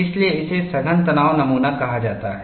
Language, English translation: Hindi, That is why it is called as compact tension specimen